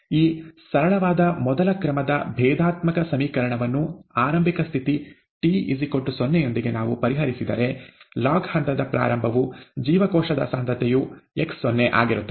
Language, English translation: Kannada, If we solve this simple first order differential equation, with the initial condition that a time t equals zero, the beginning of the log phase, the cell concentration is x0, okay